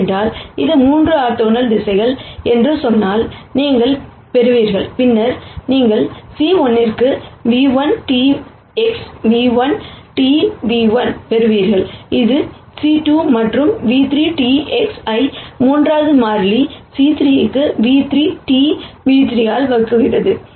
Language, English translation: Tamil, Because all you will get if let us say it is 3 orthogonal directions then you will get nu 1 transpose X nu 1 transpose nu 1 for c 1, this is for c 2 and nu 3 transpose X divided by nu 3 transpose nu 3 for the third constant c 3